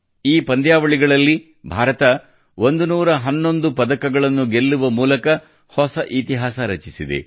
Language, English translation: Kannada, India has created a new history by winning 111 medals in these games